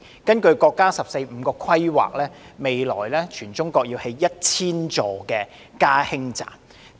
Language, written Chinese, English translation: Cantonese, 根據國家"十四五"規劃，未來全國會興建1000座"加氫站"。, According to the National 14th Five - Year Plan 1 000 hydrogen refuelling stations will be built across the country in the days ahead